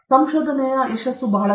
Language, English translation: Kannada, Success in research is very difficult